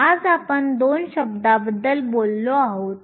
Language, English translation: Marathi, So, today we have talked about 2 terms